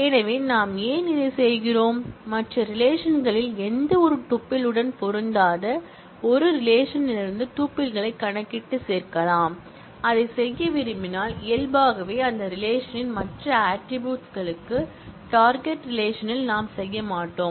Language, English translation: Tamil, So, why we are doing this we can compute and add tuples from one relation that may not match with any tuple in the other relation and if we want to do that then naturally for the other attributes of that tuple in the target relation we will not know the values